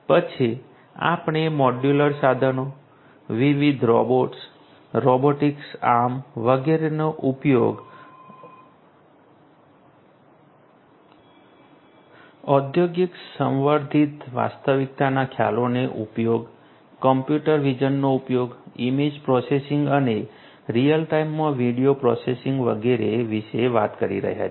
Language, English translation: Gujarati, Then we are talking about modular equipments use of modular equipments, use of different robots, robotic arms, etcetera, use of concepts of industrial augmented reality, use of computer vision computer vision, image processing and video processing in real time and so on